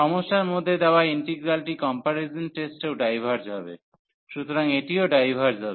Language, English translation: Bengali, So, the integral given in the problem will also diverge by the comparison test, so this will also diverge